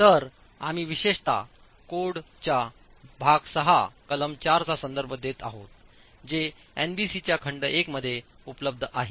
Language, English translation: Marathi, So, we are specifically referring to part six section four of the code which is available in volume 1 of NBC